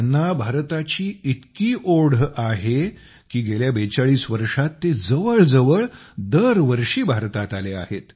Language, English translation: Marathi, He has so much affection for India, that in the last 42 forty two years he has come to India almost every year